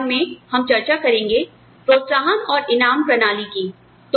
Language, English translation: Hindi, In the next lecture, we will discuss, incentive and reward systems